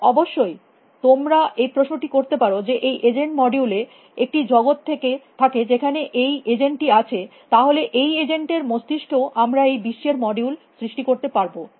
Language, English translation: Bengali, might ask the question as to it that if the model of the agent has a world in which the agent is there, then in that agents head also I should create the model of the world